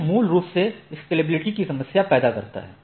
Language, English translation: Hindi, So, if it is basically, this creates a problem in scalability